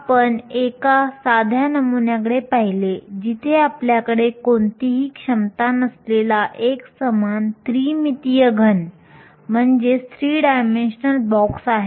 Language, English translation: Marathi, We looked at a simple model, where we had a solid as a uniform three dimensional box with no potential